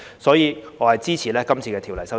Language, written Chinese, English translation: Cantonese, 所以，我支持《條例草案》。, I therefore express support for the Bill